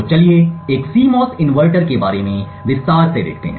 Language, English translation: Hindi, So, let us look a little more in detail about a CMOS inverter